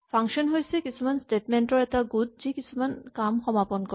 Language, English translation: Assamese, A function is a group of statements which performs a given task